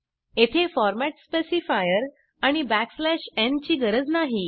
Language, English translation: Marathi, We dont need the format specifier and \n here